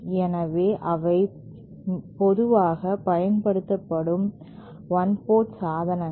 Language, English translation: Tamil, So, those are some of the one port devices that are commonly used